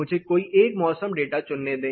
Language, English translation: Hindi, Let me choose one particular weather data